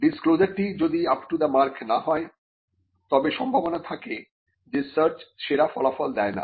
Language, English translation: Bengali, If the disclosure is not up to the mark, there are chances that the search will not yield the best results